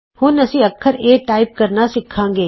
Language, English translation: Punjabi, We will now start learning to type the letter a